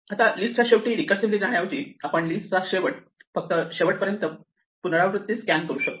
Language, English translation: Marathi, Now, instead of recursively going to the end of the list we can also scan the end of the list till the end iteratively